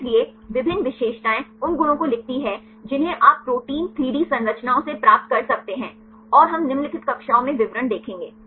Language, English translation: Hindi, So, there various features write the properties you can derive from the protein 3D structures and we will look into details in the following classes